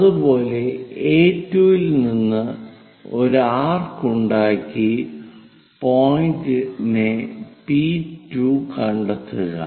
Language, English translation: Malayalam, Similarly, from A2 make an arc P2 point